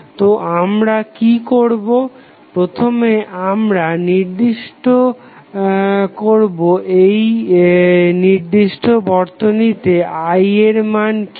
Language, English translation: Bengali, So, what we will do will first find out what would be the value of I in this particular arrangement